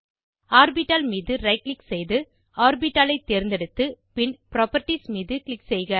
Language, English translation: Tamil, Right click on the orbital, select Orbital then click on Properties